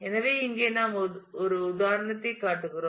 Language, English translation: Tamil, So, here we are showing an example